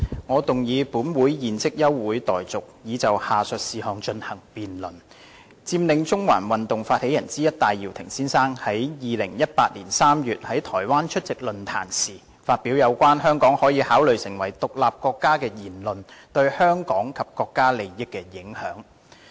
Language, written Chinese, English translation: Cantonese, 我動議本會現即休會待續，以就下述事項進行辯論：佔領中環發起人之一戴耀廷先生於2018年3月在台灣出席論壇時，發表有關香港可以考慮成為獨立國家的言論對香港及國家利益的影響。, I move that this Council do now adjourn for the purpose of debating the following issue the impact on the interests of Hong Kong and the country arising from the remarks made by Mr Benny TAI Yiu - ting one of the initiators of the Occupy Central movement at a forum held in Taiwan in March 2018 that Hong Kong could consider becoming an independent state